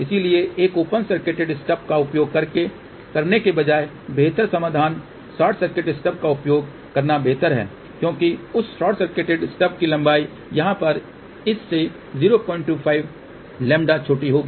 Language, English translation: Hindi, So, the better solution instead of using an open circuited stub it is better to use short circuited stub because the length of that short circuited stub will be 0